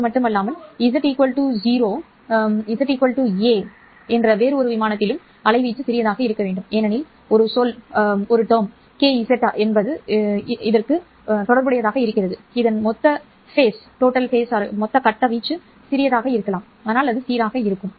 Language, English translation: Tamil, At z equal to a different plane, z 1 plane the amplitude must be smaller because there will be a term kz, therefore the total phase for this one changes